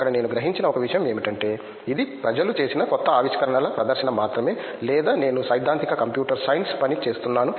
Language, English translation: Telugu, One thing I realized there was, it’s not just a show case of the new discoveries that people have made or I working theoretical computer science